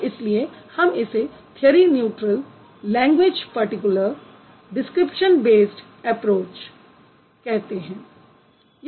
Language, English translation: Hindi, That is why we call it, so we primarily consider it a theory neutral language particular description based approach